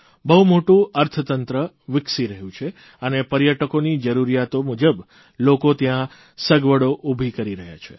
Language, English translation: Gujarati, A large economy is developing and people are generating facilities as per the requirement of the tourists